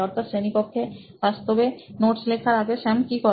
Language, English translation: Bengali, So what would be some of the activities that Sam does before he actually takes notes while he is in class